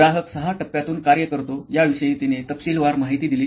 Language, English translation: Marathi, She did detailing of what all does the customer go through six steps